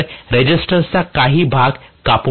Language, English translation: Marathi, So, cut off some portion of resistance